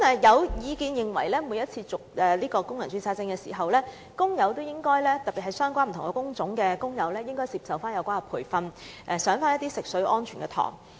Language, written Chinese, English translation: Cantonese, 有意見認為，政府應要求不同工種的工人每次為工人註冊證續期時，應接受相關培訓及修讀有關食水安全的課程。, Some Members are of the view that the Government should require workers of different designated trade divisions to receive relevant training and attend courses on drinking water safety each time before renewing their registration